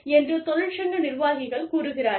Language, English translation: Tamil, The labor union representatives come